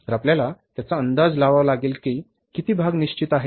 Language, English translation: Marathi, So you have to misestimate that, that how much part is fixed